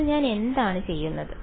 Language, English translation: Malayalam, So, what am I doing